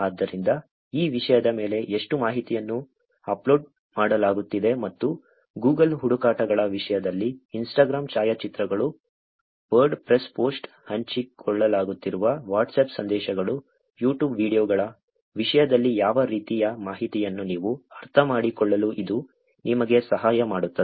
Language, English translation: Kannada, So, this is just to give you sense how much of information is getting uploaded on this content and what kind of information also, in terms of Google searches, in terms of Instagram photographs, Wordpress post, Whatsapp messages that are being shared, YouTube videos are getting uploaded, emails sent